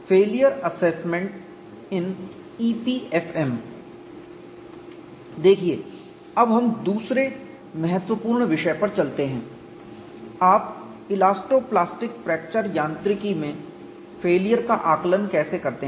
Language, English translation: Hindi, See now we move on to another important topic how do you do failure assessment in elasto plastic fracture mechanics